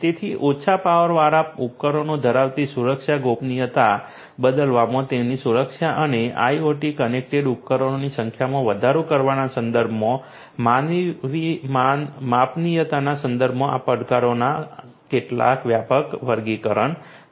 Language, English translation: Gujarati, So, these are some of these broad classifications of challenges with respect to the security privacy having low power devices their security in turn and the scalability in terms of increasing the number of IoT connected devices